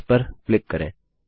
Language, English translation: Hindi, Click on that